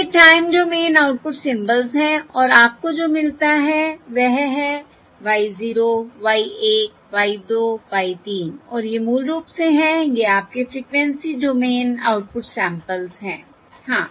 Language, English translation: Hindi, these are time doing output symbols, these are the time when output symbols and what you get is Y 0, Y 1, Y, 2, Y, 3 and these are basically, these are your frequency domain output output samples